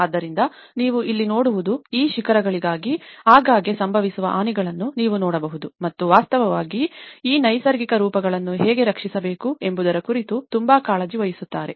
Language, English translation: Kannada, So, what you can see here is like you can see the frequent damages, which is occurring to these pinnacles and in fact, one is also very much concerned about how to protect these natural forms